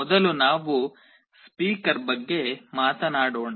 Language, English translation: Kannada, First let us talk about a speaker